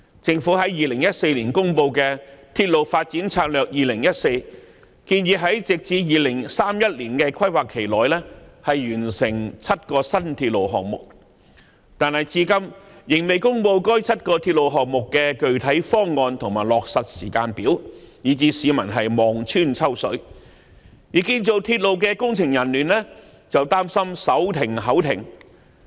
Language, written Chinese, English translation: Cantonese, 政府在2014年公布的《鐵路發展策略2014》建議在直至2031年的規劃期內完成7個新鐵路項目，但至今仍未公布該7個鐵路項目的具體方案和落實時間表，以致市民望穿秋水，而建造鐵路的工程人員則擔心"手停口停"。, The Railway Development Strategy 2014 announced by the Government in 2014 proposed to complete seven new railway projects within the planning period until 2031 . But so far it has not announced any specific proposals on the seven railway projects and the timetable for their actualization . Therefore people have to continue waiting and the engineers for railway construction are worried that they will be unable to maintain their subsistence if they get out of work